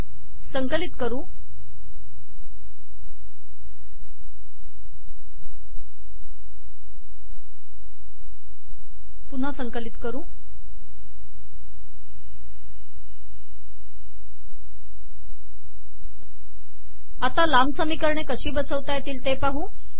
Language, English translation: Marathi, We will now see how to accommodate long equations